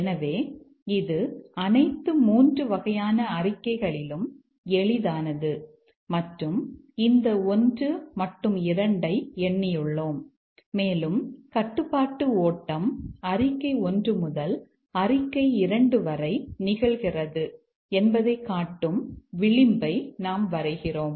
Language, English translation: Tamil, So, this is the easiest of all three types of statements and we have numbered this one and two and we just draw the edge showing the control flow occurs from statement 1 to statement 2